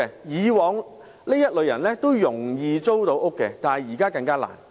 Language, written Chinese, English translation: Cantonese, 以往這類人士也易於租屋，但現在則更難。, These people now find it more difficult to rent a place than before